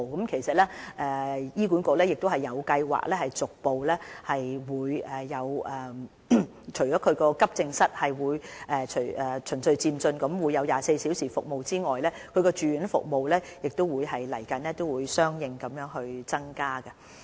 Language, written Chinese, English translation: Cantonese, 其實，醫管局已有計劃，除了急症室會循序漸進提供24小時的服務外，住院服務亦會在未來相應增加。, Actually HA has plans to progressively introduce 24 - hour AE service and correspondently increase the inpatient service at the hospital